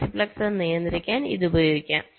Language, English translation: Malayalam, this will can be used to control the multiplexer